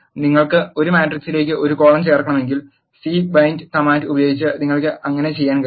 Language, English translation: Malayalam, If you want to add a column to a matrix you can do so by using c bind command